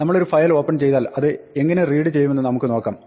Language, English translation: Malayalam, Once we have a file open, let us see how to read